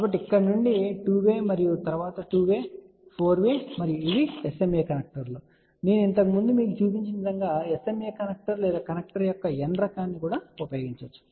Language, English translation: Telugu, So, from here one way to 2 way and then 2 way to 4 way and these are the SMA connectors as I am shown you earlier you can use SMA connector or n type of a connector